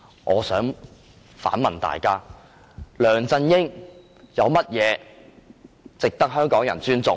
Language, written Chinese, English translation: Cantonese, 我想反問大家，梁振英有甚麼值得香港人尊重？, In response I would like to ask in what areas LEUNG Chun - ying are worthy of Hong Kong peoples respect